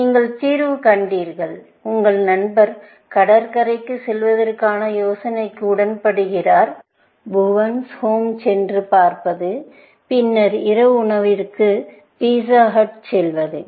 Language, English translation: Tamil, You have found the solution; your friend is agreeable to the idea of going to the beach; then, going and watching Bhuvan’s Home, and then, going to the pizza hut for dinner, essentially